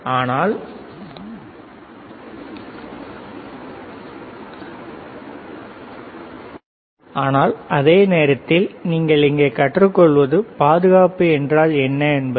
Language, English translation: Tamil, But the same time, what you learn here is what is safety; right